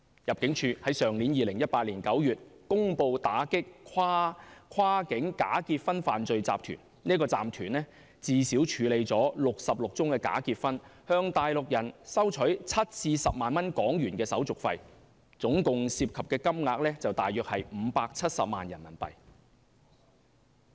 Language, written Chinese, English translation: Cantonese, 入境事務處在2018年9月公布打擊跨境假結婚犯罪集團，該集團最少處理了66宗假結婚，向內地人收取7萬港元至10萬港元手續費，涉及的金額大約是570萬元人民幣。, The Immigration Department announced in September 2018 the cracking down of a criminal syndicate engaging in cross - boundary bogus marriages . The syndicate alone had processed at least 66 bogus marriages and collected from each Mainlander a handling charge of HK70,000 to HK100,000 . The total amount involved was around RMB5.7 million